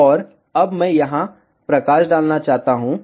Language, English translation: Hindi, And now I just want to highlight here